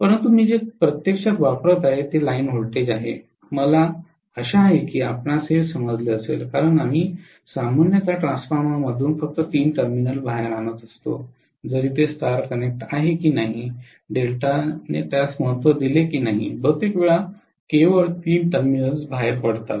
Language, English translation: Marathi, But what I am applying actually is a line voltage I hope you understand because we bring generally only three terminals out of a transformer whether it is star connected or delta connected it hardly matters, most of the time only three terminals come out